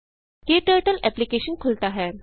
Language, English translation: Hindi, KTurtle application opens